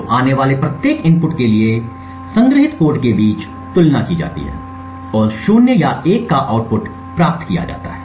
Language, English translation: Hindi, So, for each input that comes there is a comparison done between the cheat code stored and a output of 0 or 1 is then obtained